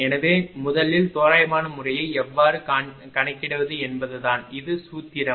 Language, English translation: Tamil, So, first thing is how to calculate approximate method right so, this is the formula